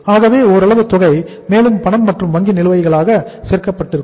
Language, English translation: Tamil, So this is going to be some amount and plus cash and bank balances